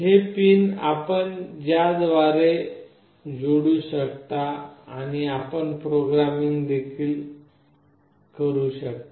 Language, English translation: Marathi, These are the pins through which you can connect and you can do programming with